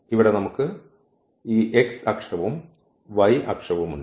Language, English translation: Malayalam, So, here we have this x axis and y axis